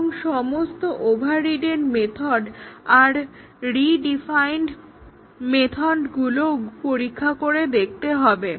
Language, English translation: Bengali, And also all the overridden methods, the redefined methods have to be tested